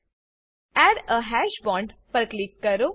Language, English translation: Gujarati, Click on Add a hash bond Click on all the bonds